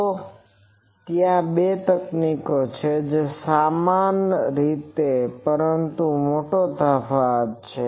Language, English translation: Gujarati, So, there are two techniques more or less similar, but there is a big difference